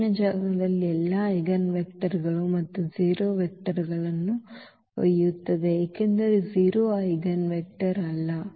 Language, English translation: Kannada, In the null space carries all the eigenvectors plus the 0 vector because the 0 is not the eigenvector